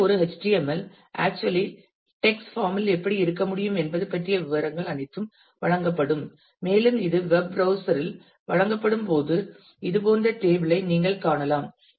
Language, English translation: Tamil, So, this is how you can you actually in an HTML in a text form all these details will be given and when it is rendered by the web browser then you will see a table like this